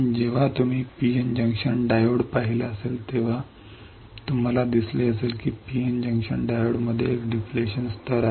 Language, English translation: Marathi, When you have seen P N junction diode you see that there is a depletion layer in the P N junction diode all right easy